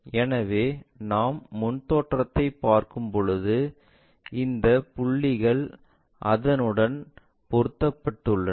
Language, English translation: Tamil, So, when we are looking front view, these points mapped all the way to that one